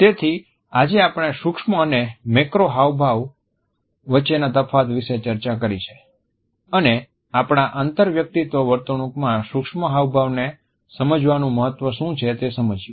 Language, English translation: Gujarati, So, today we have discussed the difference between micro and macro facial expressions and what exactly is the significance of understanding micro expressions in our interpersonal behavior